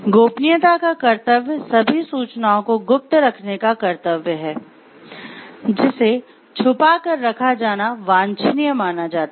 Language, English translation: Hindi, The duty of confidentiality is the duty to keep all information secret, which is deemed desirable to kept under covers